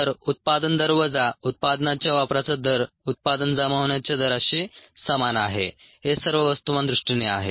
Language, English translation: Marathi, so the rate of generation minus the rate of consumption of the product equals the rate of accumulation of the product